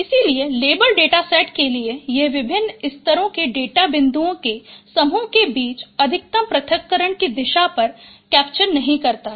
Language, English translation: Hindi, So, for level data set, it does not capture the direction of maximum separation between the groups of data points of different levels